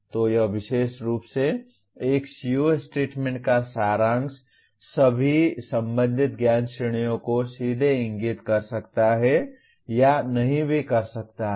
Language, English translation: Hindi, So the summarizing this particular one the CO statement may or may not directly indicate all the concerned knowledge categories